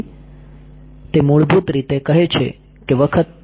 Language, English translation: Gujarati, So, that basically says that the times